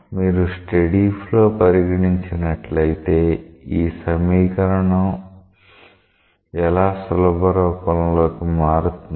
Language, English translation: Telugu, So, when you consider a steady flow, then how this equation gets simplified to